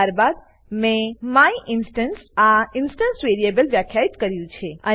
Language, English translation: Gujarati, Then I have defined an instance variable myinstance